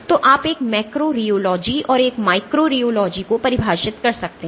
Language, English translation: Hindi, So, you can define a macro rheology and a micro rheology